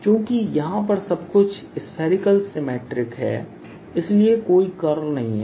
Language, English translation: Hindi, since everything is going to be spherically symmetric, there is no curl